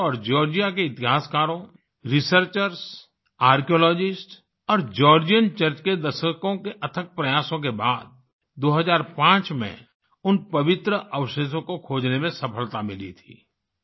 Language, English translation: Hindi, After decades of tireless efforts by the Indian government and Georgia's historians, researchers, archaeologists and the Georgian Church, the relics were successfully discovered in 2005